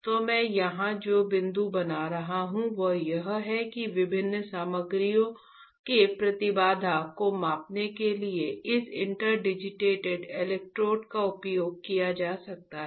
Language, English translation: Hindi, So, the point that I am making here is that, this interdigitated electrodes can be used to measure the impedance of different materials